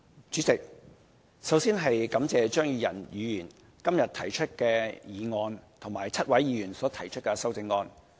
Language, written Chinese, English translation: Cantonese, 主席，首先，感謝張宇人議員今日提出的議案及7位議員所提出的修正案。, President first of all I would like to thank Mr Tommy CHEUNG and seven other Members for respectively proposing the motion and its amendments